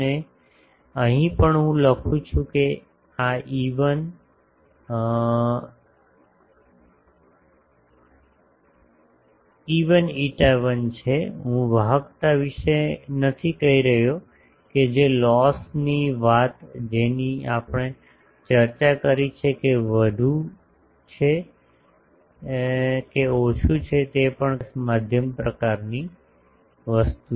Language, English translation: Gujarati, And here also I write that this is e1 epsilon 1, I am not saying about the conductivity that loss thing we have discussed that more or less that is we can say that lossless medium type of thing